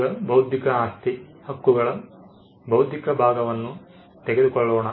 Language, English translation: Kannada, Now, let us take the intellectual part of intellectual property rights